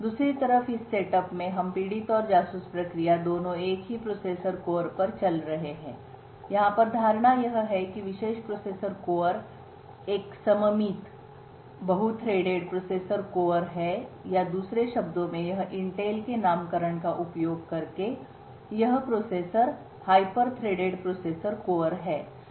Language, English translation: Hindi, In this setup on the other hand we have both the victim and the spy running on the same processor core, the assumption over here is that this particular processor core is a symmetrically multi threaded processor core or in other words when using the Intel’s nomenclature this processor core is a hyper threaded processor core